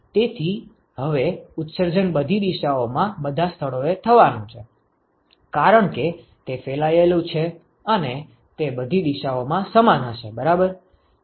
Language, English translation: Gujarati, So, now, the emission is going to occur at all locations in all directions, because it is diffuse it is going to be equal in all directions right